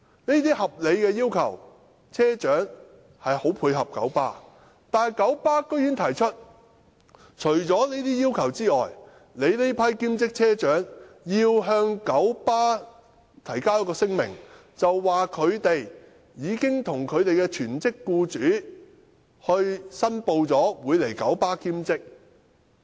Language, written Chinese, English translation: Cantonese, 車長積極配合九巴這些合理要求，但九巴竟然提出，除這些要求外，兼職車長須向九巴提交一份聲明，表明他們已向其全職僱主申報在九巴的兼職工作。, The bus captains have actively acceded to these reasonable requests of KMB . Yet apart from these requests KMB went so far as to require part - time bus captains to submit to it a declaration stating that they have declared their part - time jobs in KMB to the employers of their full - time jobs